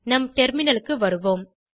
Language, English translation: Tamil, Switch back to our terminal